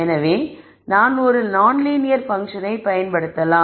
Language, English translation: Tamil, So, maybe I can use a non linear function and so on